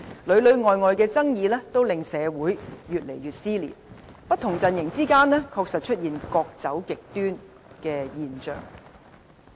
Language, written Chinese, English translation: Cantonese, 裏裏外外的爭議都令社會越來越撕裂，不同陣營之間，確實出現各走極端的現象。, All these conflicts have torn society wider apart . Indeed polarization does appear among different camps